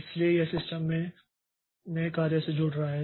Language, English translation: Hindi, So, it is joining of new job into the system